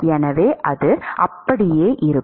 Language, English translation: Tamil, So, that is what we are going to see